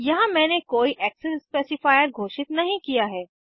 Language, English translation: Hindi, Here I have not declared any access specifier